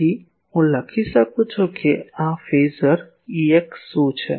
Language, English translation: Gujarati, So, can I write what is this phasor E x